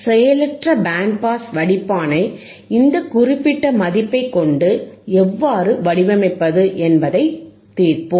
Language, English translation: Tamil, And let us solve how we can design and a passive band pass filter with this particular value